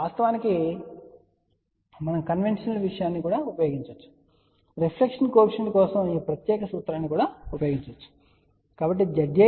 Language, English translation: Telugu, Of course, we can use the conventional thing and that is we can use this particular formula for reflection coefficient